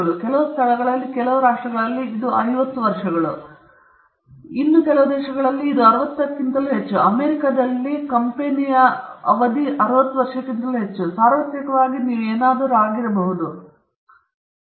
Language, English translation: Kannada, In some places, in some countries it’s 50, in some countries it’s more than 60, in America it’s more than that, so universally you will see that there is some leeway as to what could be